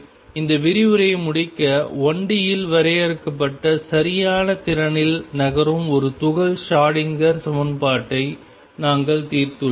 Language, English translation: Tamil, So, to conclude this lecture we have solved the Schrodinger equation for a particle moving in a finite well potential in one d